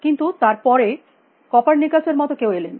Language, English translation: Bengali, But, then along cames somebody like Copernicus